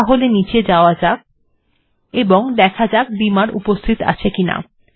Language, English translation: Bengali, So lets just go down and see whether Beamer is available